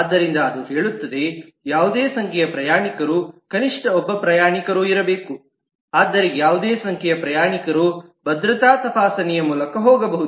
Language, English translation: Kannada, So it says that any number of passengers, at least one passenger has to be there, but any number of passengers can go through security screening